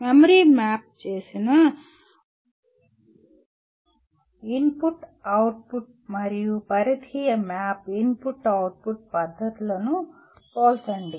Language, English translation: Telugu, Compare the memory mapped I/O and peripheral mapped I/O techniques